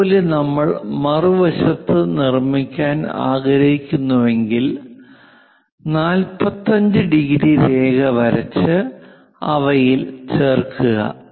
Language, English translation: Malayalam, Similarly, if we would like to construct the other side 45 degrees join them make it the part 6 and divide this into two equal parts